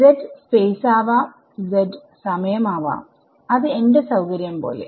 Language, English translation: Malayalam, So, the z can be space z can be time which is up to me right